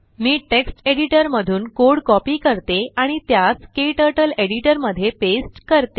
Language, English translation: Marathi, Let me copy the program from text editor and paste it into KTurtle editor